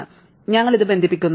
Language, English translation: Malayalam, So, we connect it